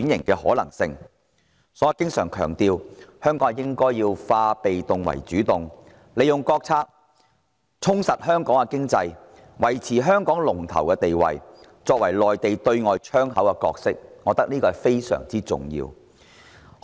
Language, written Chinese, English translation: Cantonese, 所以，我經常強調，香港應化被動為主動，利用國策充實香港的經濟，維持香港的龍頭地位，擔當內地對外窗口的角色，我認為這是非常重要的。, Hence I have been stressing always that Hong Kong should replace its passivity with proactivity taking advantage of State policies to beef up its economy perpetuate its leading position and maintain its role as the Mainlands window to the outside world . I find this vitally important